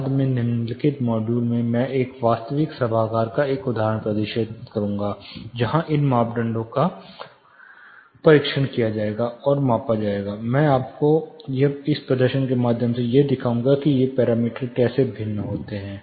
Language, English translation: Hindi, Later you know one of the following modules I will show you or demonstrate one example of an actual auditorium, where these parameters were tested and measure, I will be showing you through a demonstration how these parameters varied